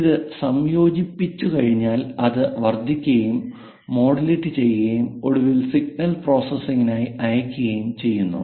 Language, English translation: Malayalam, And once this is converged is amplifiers modulated and finally send it for signal processing